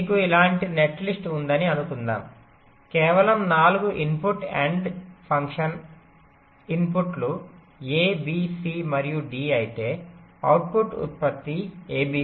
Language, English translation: Telugu, suppose you have a netlist like this, just a four input nand function, say, if the inputs are a, b, c and d, the output produces is a, b, c, d